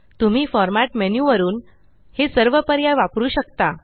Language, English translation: Marathi, You can also access all these options from the Format menu